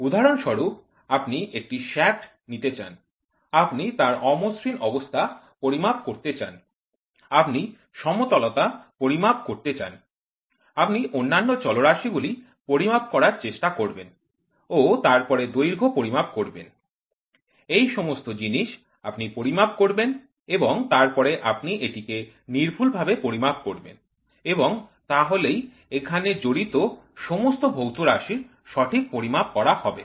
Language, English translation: Bengali, For example, you try to take a shaft, you measure the roughness, you try to measure the flatness, you try to measure other parameters then length; all those things you measure and then you measure it accurately and correlate measurement of all these quantities involved are done